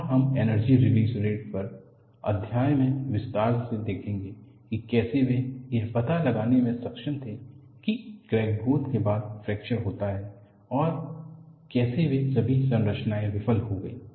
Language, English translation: Hindi, And we would see in detail in the chapter on energy release rate, how he was able to find out that, there is a crack growth followed by fracture; because that is how all structures failed